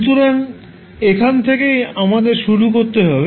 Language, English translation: Bengali, So, that would be our starting point